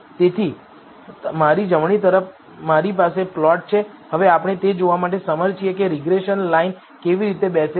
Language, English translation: Gujarati, So, on my right I have the plot we are now able to see how the regression line fits